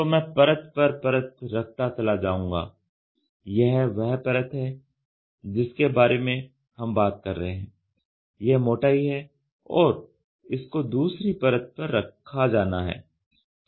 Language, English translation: Hindi, So, I place layer by layer this is the layer we are talking about, this is the thickness we are talking about and this is placed on top of the other